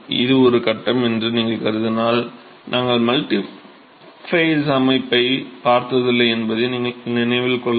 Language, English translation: Tamil, If you assume that it is a single phase, note that we never looked at multiphase system